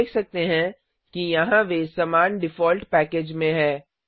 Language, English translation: Hindi, We can see that here they are in the same default package